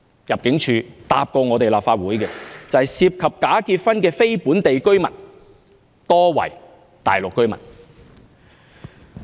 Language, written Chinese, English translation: Cantonese, 入境處曾答覆立法會，有關涉及假結婚的非本地居民，多為大陸居民。, The Immigration Department has replied to the Legislative Council that most of the non - local people involved in bogus marriages were Mainland residents